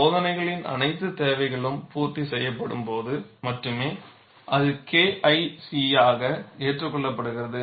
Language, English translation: Tamil, Only when all the requirements of the test are met, it is accepted as K1C